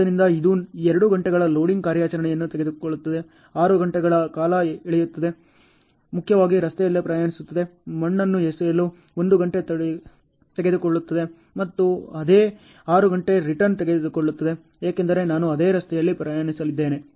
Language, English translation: Kannada, So, it takes it takes 2 hours of loading operation, 6 hours of hauling so, primarily traveling on the road, it takes 1 hour to dump the soil and it takes same 6 hours return, because I am going to travel on the same road only ok